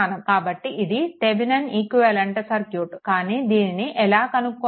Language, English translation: Telugu, So, this is that Thevenin equivalent circuit, but how to do it